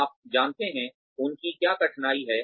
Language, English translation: Hindi, You know, what are their constraints